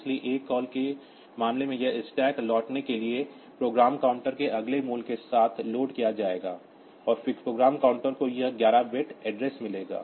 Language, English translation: Hindi, So, in case of a call this stack will be loading will be loaded with the next value of from the program counter for returning, and then the program counter will get that at 11 bit address